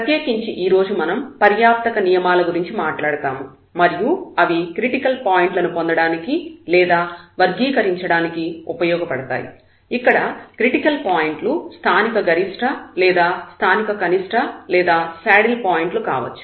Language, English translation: Telugu, In particular today we will be talking about the sufficient conditions and that will be used for getting the or characterizing the point, the critical points whether it is a point of local maximum or local minimum or it is a saddle point